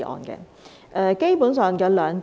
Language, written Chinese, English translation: Cantonese, 基本上，有兩點。, Basically I have two points to make